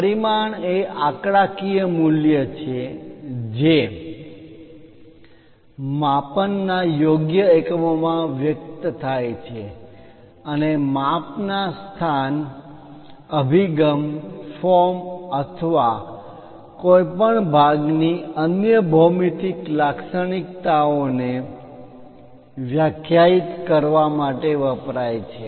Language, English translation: Gujarati, A dimension is a numerical value expressed in appropriate units of measurement and used to define the size location, orientation, form or other geometric characteristics of a part